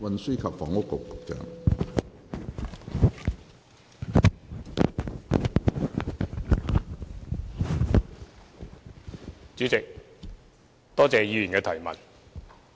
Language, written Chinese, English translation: Cantonese, 主席，多謝議員的質詢。, President thank you for Members question